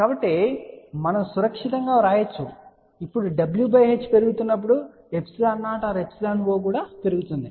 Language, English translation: Telugu, So, we can safely write now as w by h increases epsilon 0 increases